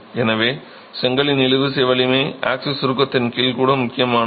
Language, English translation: Tamil, So, the tensile strength of the brick matters even under axial compression